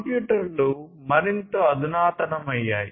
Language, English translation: Telugu, 0, computers have become more sophisticated